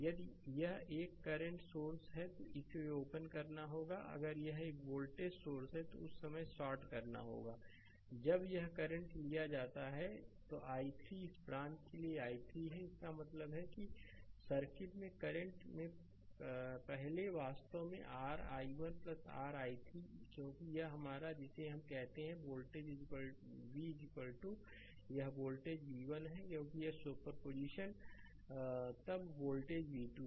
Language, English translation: Hindi, If it is a current source it has to open, if it is a voltage source it has to short right at that time current is taken here is i 3 for this branch it is taken has i 3 right; that means, in that current earlier in the circuit your i actually is equal to your i 1 plus your i 3 right, because this is your what you call this is the voltage v is equal to this voltage v 1 because superposition then is voltage v 2 right